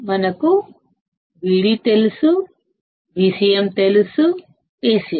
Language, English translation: Telugu, We know Vd, we know Vcm, we know Acm